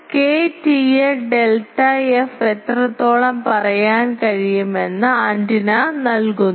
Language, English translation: Malayalam, So, antenna is giving how much power can I say K T A delta f